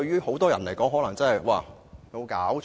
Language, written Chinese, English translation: Cantonese, 很多人也許會認為有否搞錯？, Many may consider my suggestion ludicrous